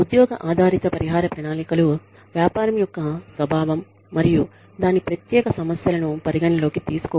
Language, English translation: Telugu, Job based compensation plans do not take into account the nature of the business and its unique problems